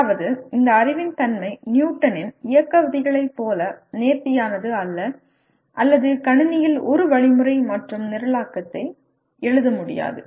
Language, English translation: Tamil, That means the nature of this knowledge is not as elegant as like Newton’s Laws of Motion or you cannot write an algorithm and programming to the computer